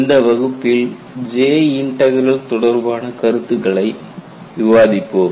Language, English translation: Tamil, You know, in this class, we will discuss concepts related to J Integral